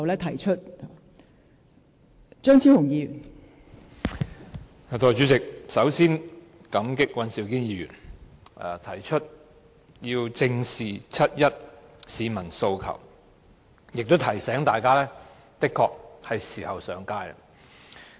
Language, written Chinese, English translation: Cantonese, 代理主席，首先感激尹兆堅議員提出"正視七一遊行市民的訴求"議案，亦提醒大家的確是時候上街。, Deputy President first of all I am grateful to Mr Andrew WAN for moving a motion on Facing up to the aspirations of the people participating in the 1 July march and I would also like to remind the public that it is indeed high time to take to the streets